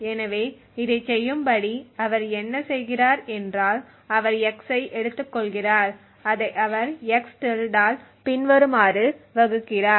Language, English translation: Tamil, So, in ordered to do this what he does is he takes x and he devise it by x~ as follows